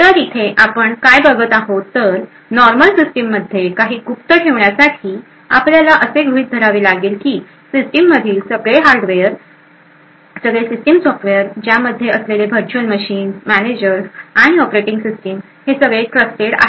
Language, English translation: Marathi, So what we see over here is that in order to assume or keep something secret in a normal system we would require a huge amount of assumptions that all the underlined hardware the system software compromising of the virtual machines, managers and the operating system are all trusted